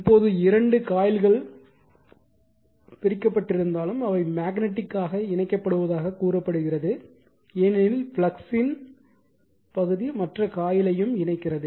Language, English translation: Tamil, Now, although the 2 coils are physically separated they are said to be magnetically coupled right because , flux part of the flux is linking also the other coil